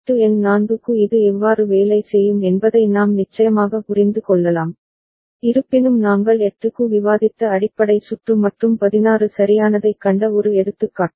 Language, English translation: Tamil, And we can of course understand that how it will work for modulo number 4 also ok, though the basic circuit that we had discussed for 8 and one example we had seen for 16 right